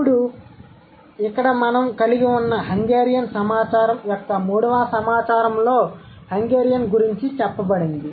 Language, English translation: Telugu, Then the third set of data that we have here is Hungarian